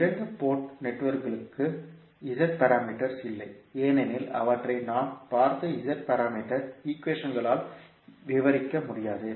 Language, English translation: Tamil, The Z parameters does not exist for some of the two port networks because they cannot be described by the Z parameter equations which we saw